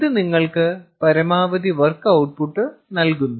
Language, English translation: Malayalam, this gives you the maximum output, work output